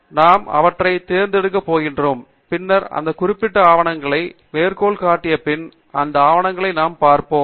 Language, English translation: Tamil, And then, we are going to pick them, and then, we will see which of the papers after those have cited those particular papers